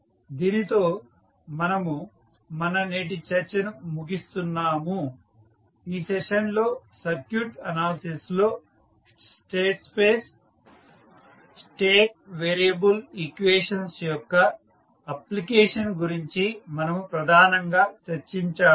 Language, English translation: Telugu, So, with this we can close our today’s discussion in this session we discussed mainly about the application of state variable equations in the circuit analysis